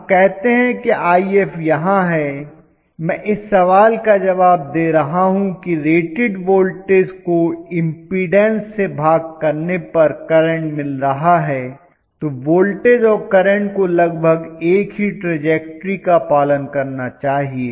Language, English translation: Hindi, So let us say I have my IF here, I am answering the question of I am rate rating voltage divided by the impedance is current and the voltage and current should follow almost the same trajectory